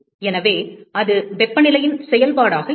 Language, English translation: Tamil, So, that will be a function of temperature